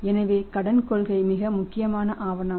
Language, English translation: Tamil, So, credit policy is a very important document